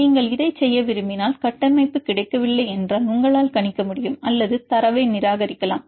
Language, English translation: Tamil, If you want to do this, if the structure is not available then we can either you can predict or you can discard the data